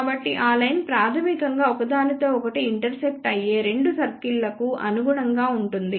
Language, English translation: Telugu, So, that line will basically be corresponding to the two circles which are intersecting each other